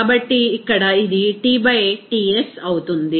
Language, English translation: Telugu, So, simply it will be T by Ts here